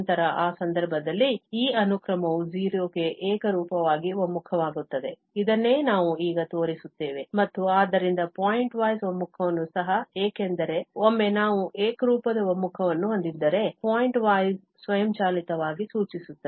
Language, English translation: Kannada, Then, in that case, this sequence converges uniformly to 0, this is what we will show now and hence, of course, pointwise convergence also, because once we have uniform convergence, the pointwise will implies automatically